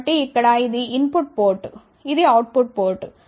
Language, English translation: Telugu, So, here this is the input port this is the output port